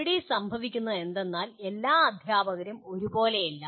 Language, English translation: Malayalam, This is where what happens is all teachers are not the same